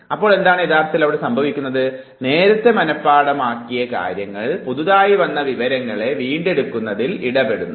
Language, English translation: Malayalam, So, what is happening actually, the previously memorized content that interferes with the process of recollection of the new information